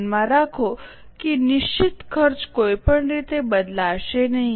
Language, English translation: Gujarati, Keep in mind that fixed cost is anyway not going to change